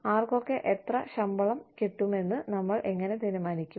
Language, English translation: Malayalam, How do we decide, who gets, how much salary